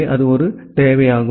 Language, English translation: Tamil, So, that is one requirement